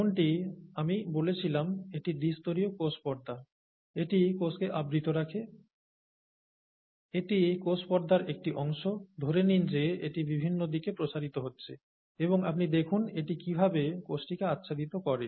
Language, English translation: Bengali, So this is the double layer plasma membrane as I said, it covers the cell, this is a part of the plasma membrane, assume that it is extending in various directions, and you see how it can cover the cell